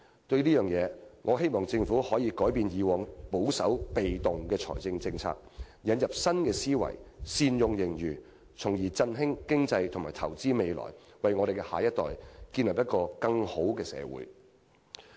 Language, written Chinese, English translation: Cantonese, 對此，我希望政府可以改變過往保守、被動的財政政策，引入新思維善用盈餘，從而振興經濟和投資未來，為我們的下一代建立一個更美好的社會。, In this regard I hope the Government can change its previous conservative and passive fiscal policies and adopt a new mindset so that our surpluses can be better utilized to revitalize the economy invest in the future and create a better society for our next generation